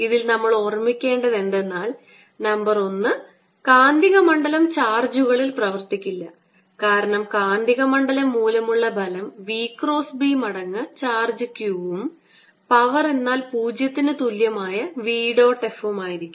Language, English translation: Malayalam, in this we must keep in mind that number one, magnetic field, does no work on charges, because the force due to magnetic field is v cross b times the charge q and the power, which is v dot f, therefore, is zero